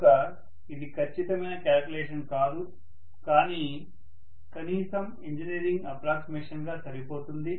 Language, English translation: Telugu, So it is not an exact calculation but at least it is good enough as an engineering approximation